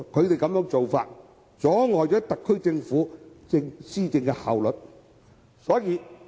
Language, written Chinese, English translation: Cantonese, 他們的做法，阻礙了特區政府施政的效率。, Their practices will affect the efficiency of the SAR Government in policy implementation